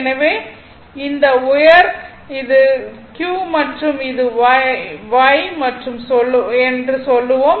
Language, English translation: Tamil, So, this high it is the q and say this is y